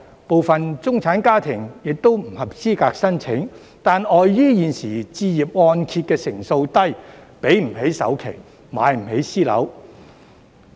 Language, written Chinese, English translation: Cantonese, 部分中產家庭亦不合資格申請，但礙於現時置業按揭成數低，給不起首期，買不起私樓。, Some middle - class families are also ineligible to apply but because of the current low loan - to - value ratio they cannot afford to pay the down payment and buy private housing